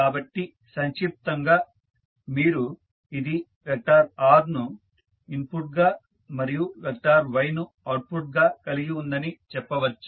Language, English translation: Telugu, So, in short you can say that it has a vector R as an input and vector Y as an output